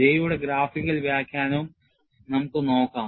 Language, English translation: Malayalam, And we will also have a look at, graphical interpretation of J